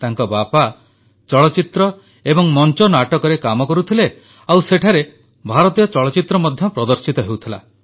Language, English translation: Odia, His father worked in a cinema theatre where Indian films were also exhibited